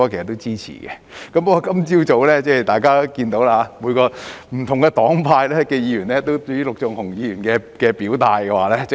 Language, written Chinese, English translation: Cantonese, 然而，今天早上，大家也看到，不同黨派的議員，尤其是陸頌雄議員，皆表達了許多不同的意見。, However as we have seen this morning Members from different political parties and groupings in particular Mr LUK Chung - hung have expressed many different views